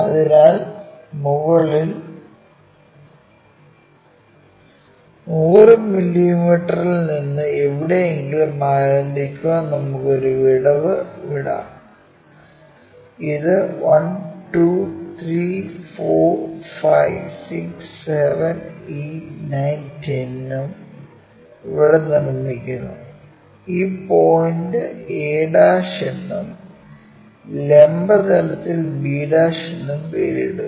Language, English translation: Malayalam, So, let us leave a gap begin from top 100 mm somewhere there, this is one 1 2 3 4 5 6 7 8 9 and 10 here construct that, name this point a' in the vertical plane b' and we know one angle supposed to make 30 degrees other one is 60 degrees